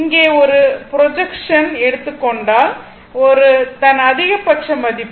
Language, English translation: Tamil, So, take a projection here this is the maximum value